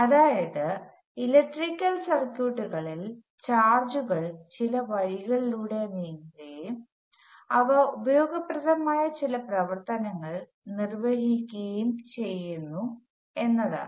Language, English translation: Malayalam, So what happens in electrical circuits is that charges move in certain ways and they move in interesting ways that carry out certain useful functions